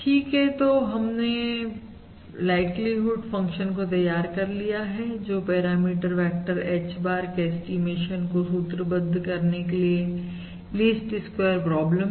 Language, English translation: Hindi, Alright, so we have developed the likely function and basically formulated the least squares problem for estimation of the parameter vector H bar